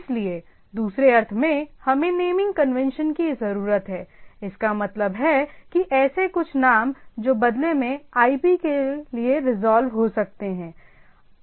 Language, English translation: Hindi, So, in other sense whether I can have some naming convention; so, that mean some names which in turn can be resolved to IP right